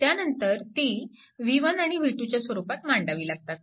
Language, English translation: Marathi, So, so, you have to find out v 1 and v 2